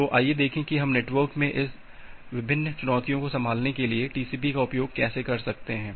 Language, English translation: Hindi, So, let us look that how we use TCP to handle this different heterogeneity this different challenges in the networks